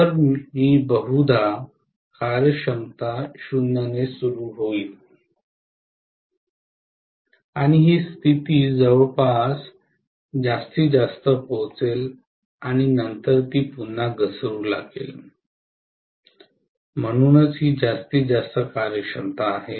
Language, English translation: Marathi, So I am going to have probably the efficiency will start with 0 and it will reach maximum around this condition and then it will start falling again, so this is what is the maximum efficiency